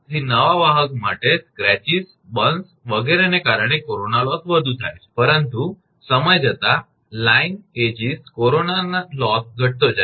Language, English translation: Gujarati, So, corona loss is more due to scratches, burns etc for the new conductor, but over the time as the line ages corona loss decreases